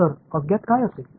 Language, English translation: Marathi, So, what would be the unknowns